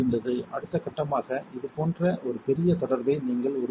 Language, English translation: Tamil, Next step would be you create a further big contact like this right